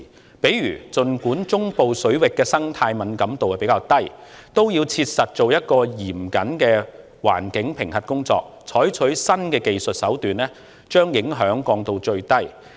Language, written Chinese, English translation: Cantonese, 舉例而言，儘管中部水域的生態敏感度較低，也要切實進行嚴謹的環境評核工作，採取新技術手段把影響降到最低。, For example although the ecological sensitivity of the central waters is lower it is still necessary to carry out stringent environment assessments in earnest and adopt new technical measures to reduce the impact to a minimum